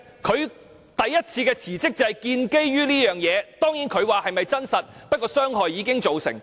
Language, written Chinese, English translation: Cantonese, 他首次辭職正是基於這個原因，儘管他說事情未必屬實，但傷害已經造成。, This is also the reason why he chose to resign in the first place . According to him although things may not what they appear to be damage has already been done